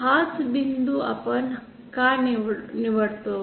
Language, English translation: Marathi, Why do we choose this point